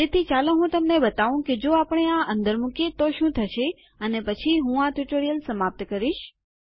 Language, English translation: Gujarati, So, let me just show you what would happen if we keep these in and then with that Ill end the tutorial